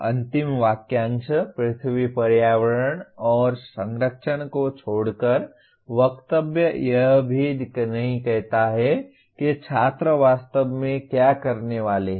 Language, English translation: Hindi, Except the last phrase, earth environment and protection, the statement does not even say what exactly the student is supposed to be doing